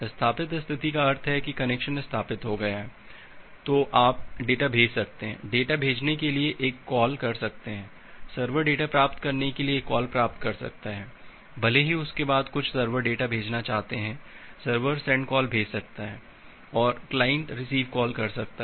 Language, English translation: Hindi, Established state means the connection has established then you can send the data, make a send call to send the data, the server can make a receive call to receive the data even if after that the some server wants to send the data server can make a send call and the client can make a receive call